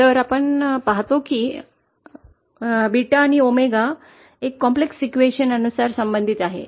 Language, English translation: Marathi, So we see that beta and omega are related by a complex equation